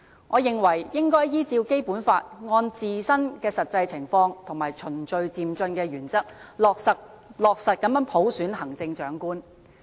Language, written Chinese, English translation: Cantonese, 我認為應該依照《基本法》按自身的實際情況和循序漸進的原則，落實普選行政長官。, I hold that the selection of the Chief Executive by universal suffrage should be based on the Basic Law taking into account the actual situation in Hong Kong and following the principle of gradual and orderly progress